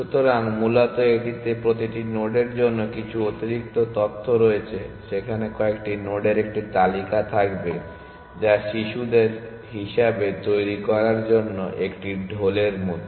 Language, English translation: Bengali, So, basically it has some extra information for every node there will be a list of few nodes which are tabor for it to be generated as children